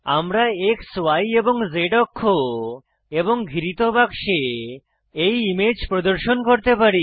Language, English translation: Bengali, We can display the image with X,Y and Z axes and within a bounding box